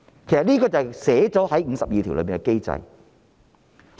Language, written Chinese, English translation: Cantonese, 這是寫在第五十二條的機制。, The mechanism is provided in Article 52 of the Basic Law